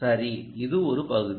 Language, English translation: Tamil, all right, this is one part